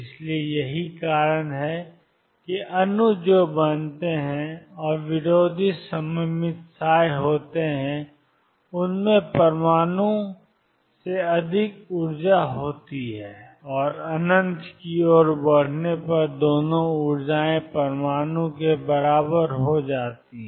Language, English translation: Hindi, So, that that is why molecules that formed and anti symmetric psi has energy greater than the atom and as a tends to infinity both energies become equal to that of the atom